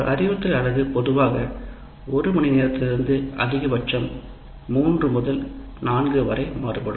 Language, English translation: Tamil, And an instructional unit also, it may be from one hour to generally about three hours, three to four hours maximum